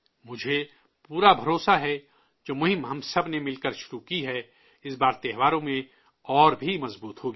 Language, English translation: Urdu, I am sure that the campaign which we all have started together will be stronger this time during the festivals